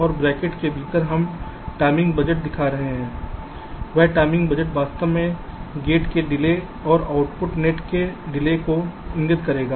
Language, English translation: Hindi, this is the notation we use and within bracket we are showing the timing budget, that that timing budget actually will indicate the delay of the gate plus delay of the output net